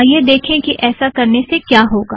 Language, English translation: Hindi, Lets see what happens when we try this